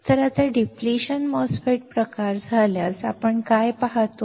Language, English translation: Marathi, So, now, in case of depletion type MOSFET, what we see